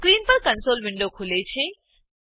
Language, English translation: Gujarati, The console window opens on the screen